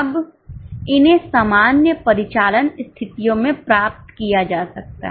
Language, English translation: Hindi, Now, these may be achieved under normal operating conditions